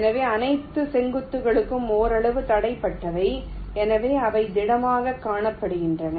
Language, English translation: Tamil, so all the vertices are partially block, so they are shown as solid